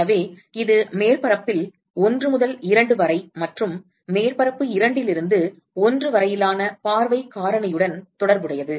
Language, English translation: Tamil, So, it essentially relates the view factor from surface one to two and from surface two to one